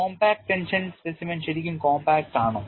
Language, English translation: Malayalam, Is the compact tension specimen really compact